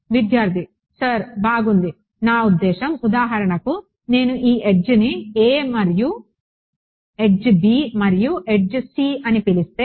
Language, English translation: Telugu, You mean the for example, if I call this edge a and edge b and edge c